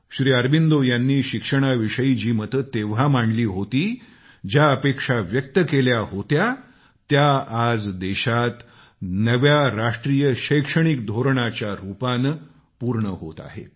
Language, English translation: Marathi, Whatever Shri Aurobindosaid about national education and expected then, the country is now achieving it through the new National Education Policy